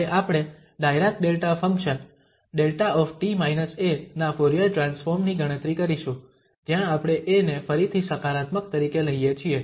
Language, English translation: Gujarati, Now, we will compute the Fourier Transform of Dirac Delta function delta t minus a where we take this a again positive